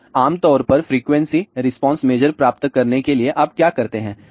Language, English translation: Hindi, So, generally speaking to get the frequency response measure so, what you do